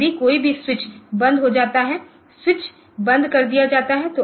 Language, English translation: Hindi, If any of the switch is closed if any of the switch is closed